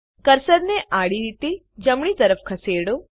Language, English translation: Gujarati, Move the cursor horizontally towards right